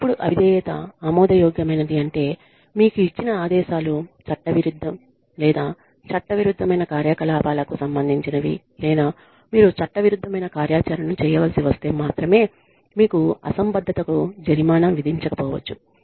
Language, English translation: Telugu, Now, insubordination is acceptable, only and only if the, or you may not be penalized for insubordination, if the orders that are given to you, are illegal, or relate to an illegal activity, or result in, you having to perform, an illegal activity